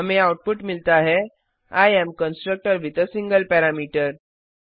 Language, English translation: Hindi, We get the output as I am constructor with a single parameter